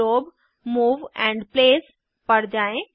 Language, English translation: Hindi, Go to Glob Move and Place